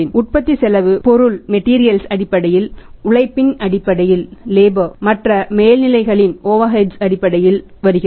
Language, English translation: Tamil, Cost of production comes in terms of material, in terms of labour in terms of other overheads in terms of other overheads